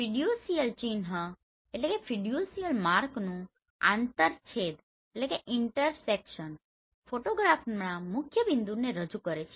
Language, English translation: Gujarati, The intersection of the fiducial mark represents the principle point of the photograph right